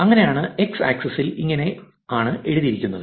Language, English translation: Malayalam, So, that is how it is written on the x axis